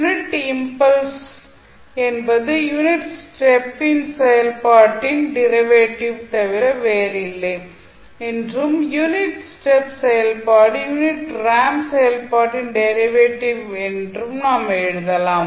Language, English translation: Tamil, You can simply write that the delta t is nothing but derivative of unit step function and the unit step function is derivative of unit ramp function